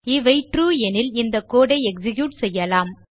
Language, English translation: Tamil, If this is TRUE, we will execute the code here